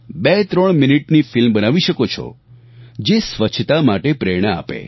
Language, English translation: Gujarati, You can film a twothreeminute movie that inspires cleanliness